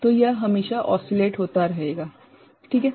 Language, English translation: Hindi, So, it will always you know oscillate ok